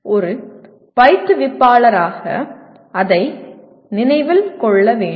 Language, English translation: Tamil, That is one thing as an instructor one has to remember that